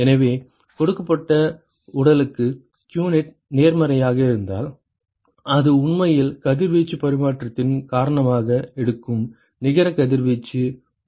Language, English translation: Tamil, So, for a given body if qnet is positive right which means that there is a net radiation that it is actually taking because of radiation exchange